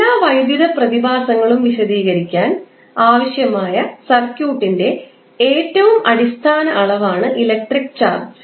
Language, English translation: Malayalam, So, electric charge is most basic quantity of circuit required to explain all electrical phenomena